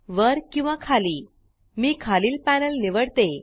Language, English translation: Marathi, I am choosing the bottom panel